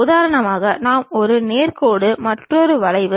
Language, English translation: Tamil, For example, we can have one is a straight line other one is a curve